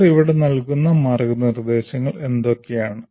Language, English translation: Malayalam, And what are the guidelines they give here